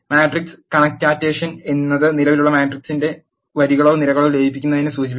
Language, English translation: Malayalam, Matrix concatenation refers to merging of rows or columns to an existing matrix